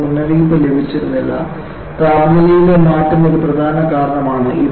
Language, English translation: Malayalam, They would not have got alerted, transition in temperature is a major cause